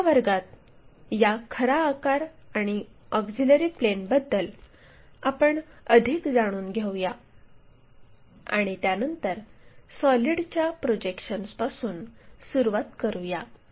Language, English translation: Marathi, So, in the next class, we will learn more about these true shapes and auxiliary planes and then, begin with projection of solids